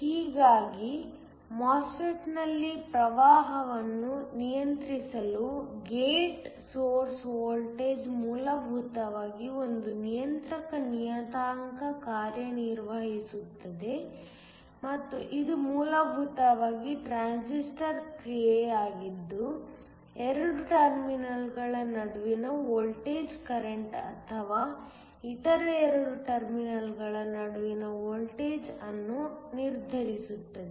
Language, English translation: Kannada, Thus, the gate source voltage essentially acts as a controlling parameter in order to control the current in the MOSFET and this essentially is the transistor action where the voltage between 2 terminals determines the current or the voltage between other 2 terminals